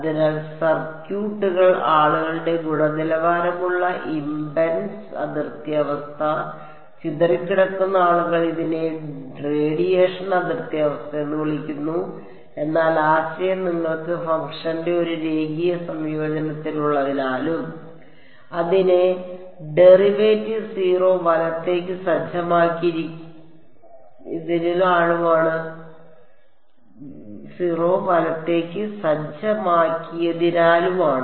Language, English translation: Malayalam, So, circuits people quality impedance boundary condition, scattering people call it radiation boundary condition, but the idea is because you have a linear combination of the function and its derivative being set to 0 right